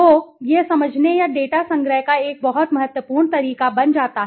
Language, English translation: Hindi, So, that becomes a very important way of understanding or data collection